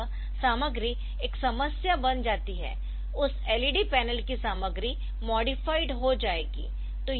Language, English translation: Hindi, So, that way the content becomes a problem the content will get modified of that led panel also